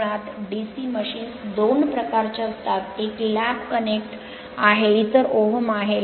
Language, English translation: Marathi, Basically DC machines are of two type; one is lap connected, another is om